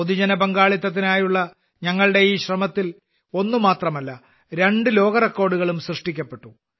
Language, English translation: Malayalam, In this effort of ours for public participation, not just one, but two world records have also been created